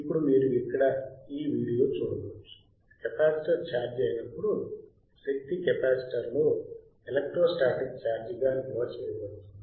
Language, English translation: Telugu, Now you can see here, the video, right when the capacitor gets charged, the energy gets stored in the capacitor as electro static charge ok